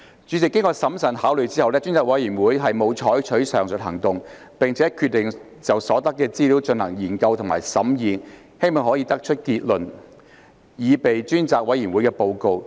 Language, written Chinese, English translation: Cantonese, 主席，經審慎考慮後，專責委員會沒有採取上述行動，並決定就所得資料進行研究和審議，希望可得出結論，擬備專責委員會的報告。, President after careful consideration the Select Committee has not taken the aforesaid actions and has decided to examine and deliberate on the information obtained with a view to preparing the Report of the Select Committee on the basis of conclusions drawn from the information available